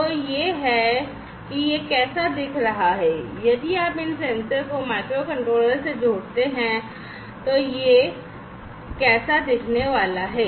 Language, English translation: Hindi, So, this is how it is going to look like if you connect these sensors to the microcontroller’s right, this is how it is going to look like